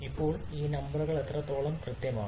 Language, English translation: Malayalam, Now how accurate are these numbers